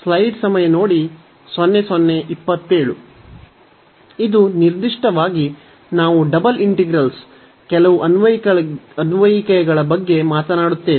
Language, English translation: Kannada, And today in particular we will be talking about some applications of double integral